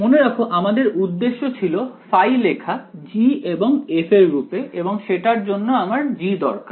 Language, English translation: Bengali, Remember objective is phi in terms of G and f that is what I want for that I want G right